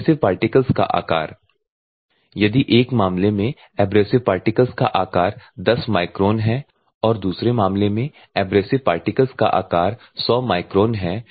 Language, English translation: Hindi, The abrasive particle size if the abrasive particle size is 10 microns in one case; in other case the abrasive particle size is 100 microns